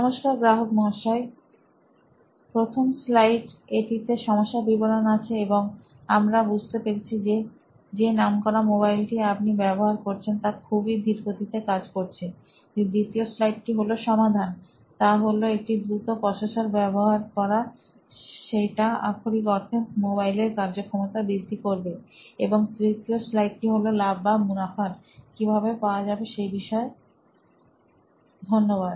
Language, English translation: Bengali, Hello Mr Customer, slide one, we have the problem statement and we understand that the reputed mobile that you are using is running very slow, slide two, the solution is to use a faster processor, which will ultimately increase the speed of the mobile and third slide is the profits, will get profits, thank you